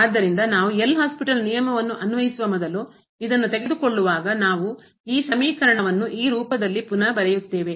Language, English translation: Kannada, So, when we take this when before we applying the L’Hospital rule we just rewrite this expression in this form